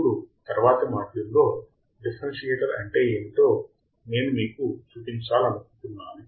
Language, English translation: Telugu, Now, in the next module, what I want to show you what is a differentiator